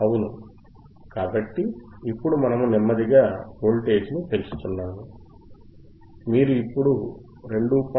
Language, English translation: Telugu, Yeah, so now we are slowly increasing the voltage, you can see now 2